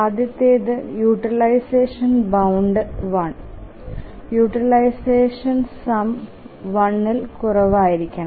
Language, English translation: Malayalam, The first is that utilization bound one, the sum of utilization should be less than one